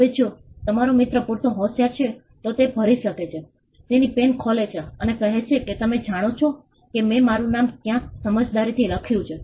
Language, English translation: Gujarati, Now, if your friend is smart enough, he could just fill up, his pen just opens it up and say you know I had written my name somewhere discreetly